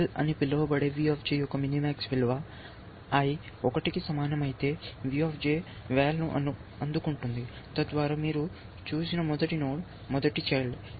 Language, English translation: Telugu, Let say something called val is the minimax value of V J, if J, if i is equal to 1, then V J gets val thus the first node, first child that you have looked at